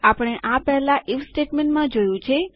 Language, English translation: Gujarati, Weve seen this in the IF statement before